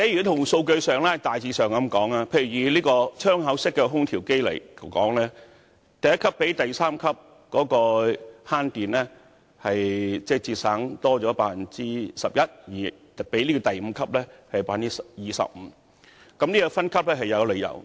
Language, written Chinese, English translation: Cantonese, 從數據上而言，以窗口式空調為例，第一級較第三級多節省 11%， 而較第五級則多省 25% 電力，所以分級是有理由的。, In terms of statistics and take window - type air conditioners as an example there is energy saving of 11 % for Grade 1 over Grade 3 and 25 % over Grade 5